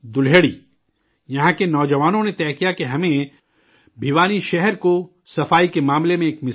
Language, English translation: Urdu, The youth here decided that Bhiwani city has to be made exemplary in terms of cleanliness